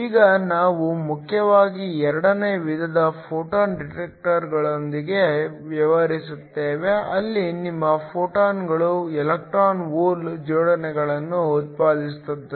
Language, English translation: Kannada, Now we will be mainly dealing with the second type of photo detectors, where your photons generate electron hole pairs